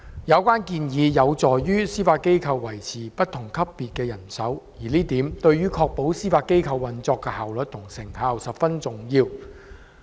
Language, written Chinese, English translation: Cantonese, 有關建議有助司法機構維持不同級別法院的人手，而這點對於確保司法機構運作的效率及成效，十分重要。, The relevant proposals would enable the Judiciary to sustain their manpower across different levels of court which is crucial to the efficient and effective operation of the Judiciary